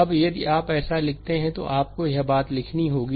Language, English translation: Hindi, Now, if you write like this, that then you have to write this thing